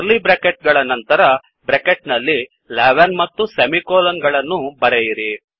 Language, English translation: Kannada, After curly brackets type this within brackets 11 and semicolon